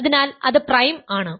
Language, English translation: Malayalam, So, I is prime